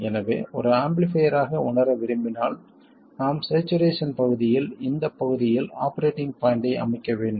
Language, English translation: Tamil, So when we want to realize an amplifier we have to set the operating point in this region, in the saturation region